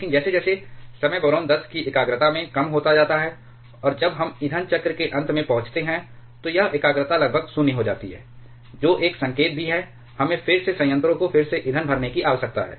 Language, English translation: Hindi, But as time goes on the concentration of boron 10 reduces and when we approach the end of the fuel cycle it is concentration virtually become 0, which is also an indicative that we need to refuel the reactor again